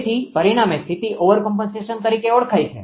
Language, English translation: Gujarati, So, the resultant condition is known as overcompensation right